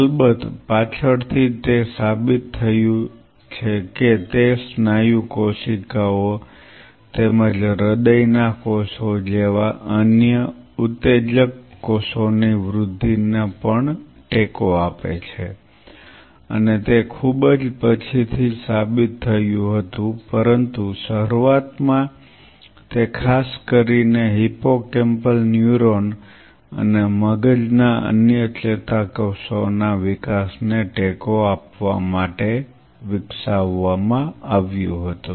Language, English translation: Gujarati, Of course, later it has been proved that it also supports the growth of other excitable cells like muscle cells as well as cardiac cells and that was much later it was proved, but initially it was developed to support the growth of especially the hippocampal neuron and other brain neurons